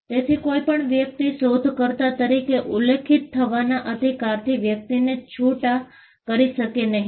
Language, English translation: Gujarati, So, nobody can disentitle a person from a person’s right to be mentioned as an inventor